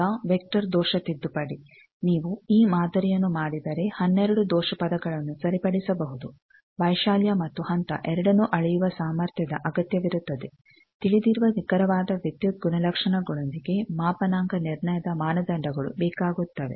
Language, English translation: Kannada, Now, vector error correction they are if you do this model 12 error terms are corrected, requires capability of measuring both amplitude and phase, requires calibration standards with known precise electrical characterization